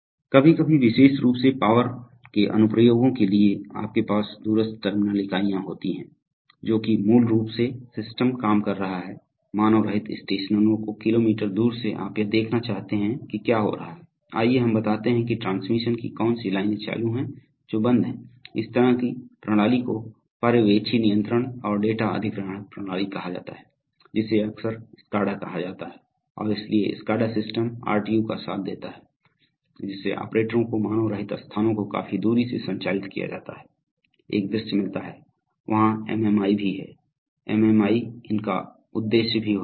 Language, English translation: Hindi, Sometimes especially in for power applications you have remote terminal units, that is basically the system is working in let us say unmanned stations and from kilometers away you want to get a view of what is happening, let us say which of the witch of the transmission lines are on, which are off, so such a system is called a supervisory control and data acquisition system often called SCADA and so SCADA systems with RTU’s give, gives operators a visualization of what is happening quite far away in unmanned places, there also MMI, they also have MMI purpose Sometimes you have panel pcs, they are special types of pcs with you know touch screen